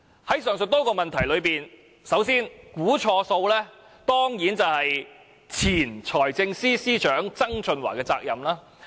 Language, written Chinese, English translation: Cantonese, 在上述多個問題中，估算錯誤當然是前任財政司司長曾俊華的責任。, Of these problems errors of projection must of course be ascribed to former Financial Secretary John TSANG